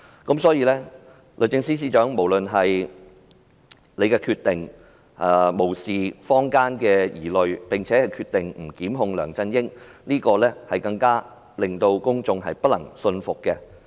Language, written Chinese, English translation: Cantonese, 因此，律政司司長無視坊間的疑慮，決定不檢控梁振英這點，更難令公眾信服。, Therefore it is hard to convince the public with this decision as the Secretary for Justice is turning a blind eye to public concerns about not instituting prosecution against LEUNG Chun - ying